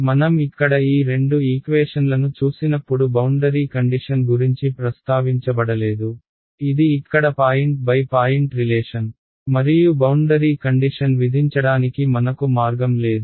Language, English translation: Telugu, When I look at just these two equations over here these two equations there is no mention of boundary conditions right; this is a point by point relation over here and there is no way for me to impose the boundary condition